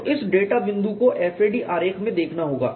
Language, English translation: Hindi, So, this data point has to be seen in the fair diagram